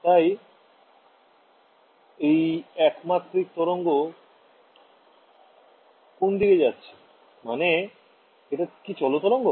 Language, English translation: Bengali, So, one dimensional wave going which direction is this wave traveling